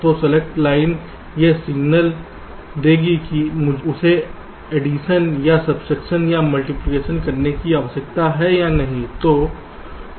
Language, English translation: Hindi, so the select line will give the signal whether i need to do the addition or subtraction or multiplication